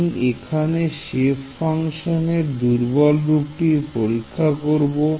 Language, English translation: Bengali, I am testing the weak form with this shape function